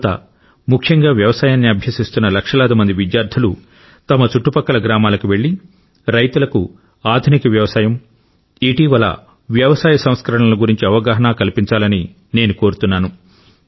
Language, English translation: Telugu, To the youth, especially the lakhs of students who are studying agriculture, it is my request that they visit villages in their vicinity and talk to the farmers and make them aware about innovations in farming and the recent agricultural reforms